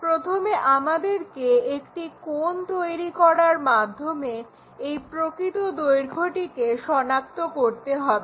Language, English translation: Bengali, First we have to identify this true line making an angle